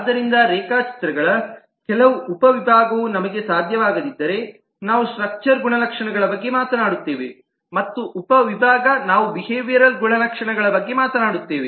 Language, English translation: Kannada, so if we cannot that, some of the a subset of the diagrams, we will talk about structural properties and subset we'll talk about behavioral properties